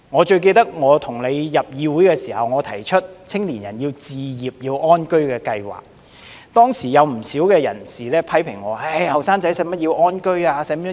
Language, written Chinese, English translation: Cantonese, 最記得我與代理主席你進入議會時我曾提出，青年人要置業安居的計劃，當時有不少人批評我，青年人何須安居置業？, I have a strong memory that when Deputy President and I joined this Council I proposed that young people should have home ownership plans but many people criticized me at that time saying that young people did not need to buy their own homes